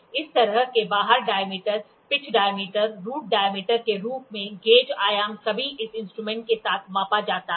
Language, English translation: Hindi, The gauge dimensions such as outside diameter, outside diameter, pitch diameter, root diameter are all measured with this equipment